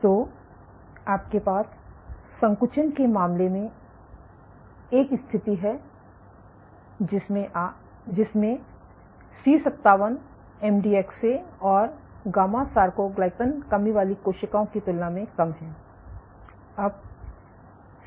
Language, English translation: Hindi, So, you have a situation in terms of contractility C57 less than MDX less then gamma soarcoglycan deficiency cells